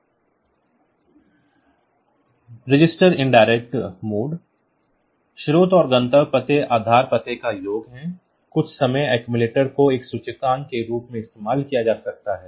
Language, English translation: Hindi, Then we have got this register indirect mode; the source and destination addresses, the sum of the base address and the accumulator some accumulator can be used as an index